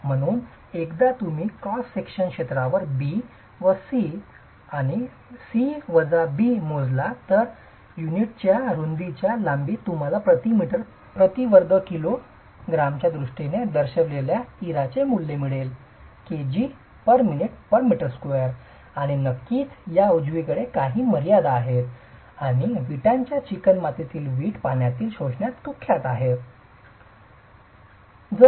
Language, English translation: Marathi, So, once you measure B and C, C minus B over the area of cross section which is the length into the breadth of the brick unit will get you the value of the IRA represented in terms of kilograms per minute per meter square and of course there are limits on this and brick clay brick is notorious in water absorption